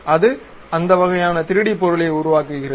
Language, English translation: Tamil, It creates that kind of 3D object